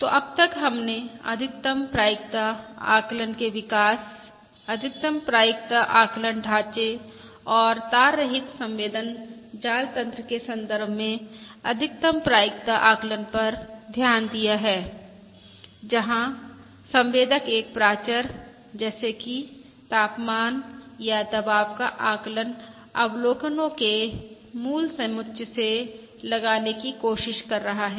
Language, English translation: Hindi, So so far we have looked at the development of maximum likelihood estimation, the maximum likelihood estimation framework and the maximum likelihood estimate in the context of the wireless sensor network, where sensor is trying to estimate a parameter such as the temperature or pressure from a basic set of observations